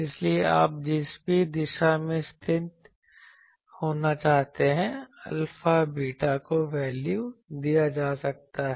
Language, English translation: Hindi, So, whatever in which direction you want to put based on that, alpha, beta can be put the values